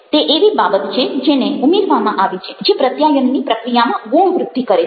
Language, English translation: Gujarati, it is something which is added, which enhances the communication process